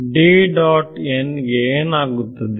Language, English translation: Kannada, The had some